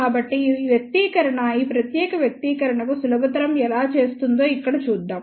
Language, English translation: Telugu, So, then this expression simplifies to this particular expression here let us see how